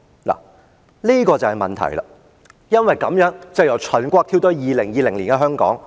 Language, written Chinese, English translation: Cantonese, 這便是問題了，從這樣的背景，我由秦國再跳回2020年的香港。, This was the problem . I am returning to Hong Kong in 2020 from this backdrop of the Qin Dynasty